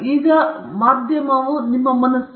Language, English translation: Kannada, Because now the medium is your mind